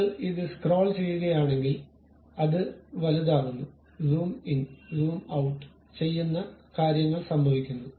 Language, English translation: Malayalam, If you scroll it, it magnifies zoom in, zoom out kind of things happens